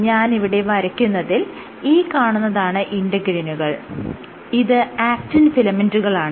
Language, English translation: Malayalam, I am just drawing these layers and eventually you have your actin filament